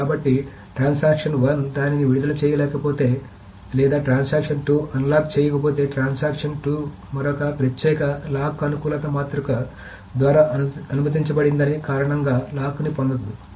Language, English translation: Telugu, So unless transaction 1 releases it or unlocks it, transaction 2 cannot get another exclusive lock on A because that is what is not allowed by the lock compatibility matrix